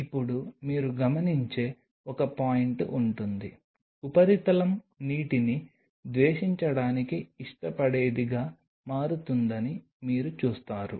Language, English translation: Telugu, Now there will be a point you will observe you will see that surface becomes water loving to become water hating